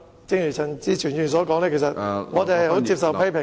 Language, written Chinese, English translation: Cantonese, 正如陳志全議員所說，我們願意接受批評......, Just as Mr CHAN Chi - chuen has said we are willing to accept criticisms